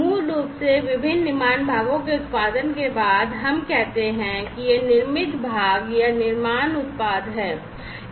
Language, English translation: Hindi, So, basically after production the different manufacture parts, let us say, that these are the manufactured parts or you know manufacture products